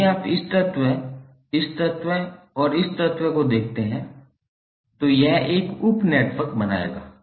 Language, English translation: Hindi, If you see this element, this element and this element it will create one star sub network